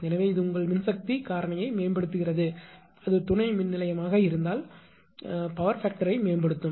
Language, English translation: Tamil, So, such that it improves the power factor of the your what you call that your if it is substation then it will improve the power factor at substation